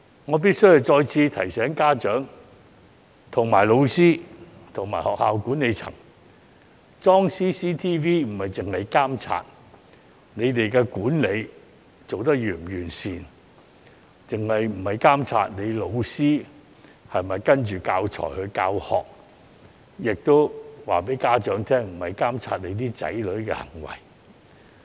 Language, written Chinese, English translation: Cantonese, 我必須再次提醒家長、老師及學校管理層，安裝 CCTV 不是監察學校管理是否完善，或老師是否依據教材教學，亦想告知家長這不是要監察子女的行為。, I must remind parents teachers and school managements that the purpose of installing CCTVs is not to monitor whether the schools are managed properly or whether the teachers are teaching according to the teaching materials . I would also like to tell parents that CCTVs are not installed to monitor their childrens behaviour either